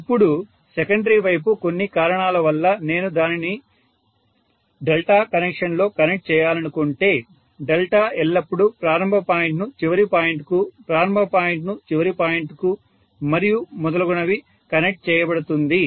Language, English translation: Telugu, Now on the secondary site, for some reason if I want to connect it in delta, delta connection always connects beginning to the end, beginning to the end and so on they are all connected in series addition basically